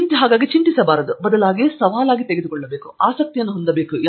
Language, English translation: Kannada, So, central element should not be worry but central element should be challenge and interest